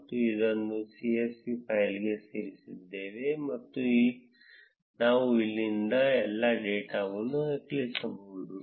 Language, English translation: Kannada, I just added it to csv file, and we can just copy paste all the data from here